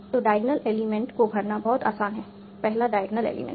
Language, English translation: Hindi, So filling with the diagonal element is very easy